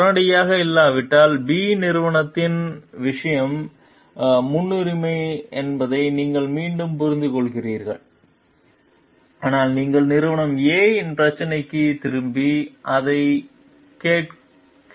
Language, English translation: Tamil, If not immediately, but again we understand company B s thing is priority, but you could have like got back to the problem of company A, and try to listen to it